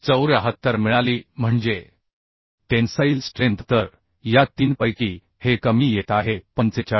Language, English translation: Marathi, 74 that is tensile strength So this lesser of these three is coming 45